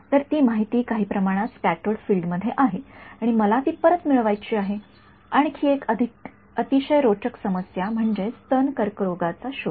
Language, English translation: Marathi, So, that information is somehow there in the scattered field and I want to get it back right and one other very interesting problem is breast cancer detection